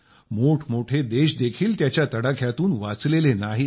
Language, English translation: Marathi, Even big countries were not spared from its devastation